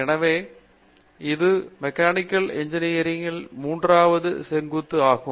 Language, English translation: Tamil, So, that is the third vertical in Mechanical Engineering